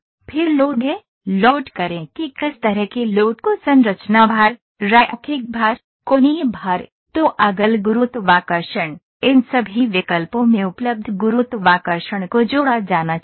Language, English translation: Hindi, Then is load, load what kind of loads are to be put structure loads, linear loads, angular loads, toggle gravity, added gravity all these options are available